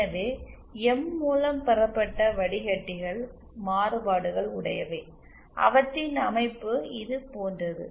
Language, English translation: Tamil, so m derived filters are the variations, their structure is somewhat like this